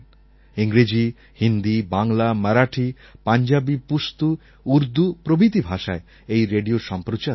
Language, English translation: Bengali, English, Hindi, Bengali, Marathi Punjabi, Pashto, Urdu, he used to run the radio in all these languages